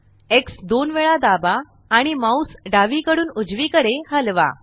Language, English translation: Marathi, press X twice and move the mouse left to right